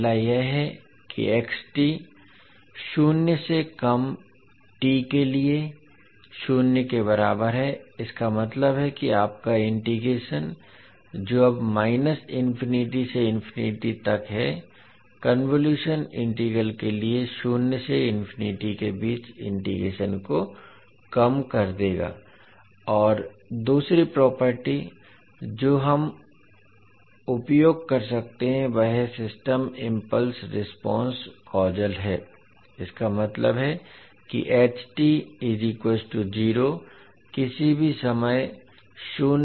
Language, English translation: Hindi, So what are those two properties, first is that xt is equal to zero for t less than zero, it means that your integration which is now from minus infinity to infinity will reduce to integration between zero to infinity for the convolution integral and second property what we can use is that systems impulse response is causal, that means ht is equal to zero for anytime t less than zero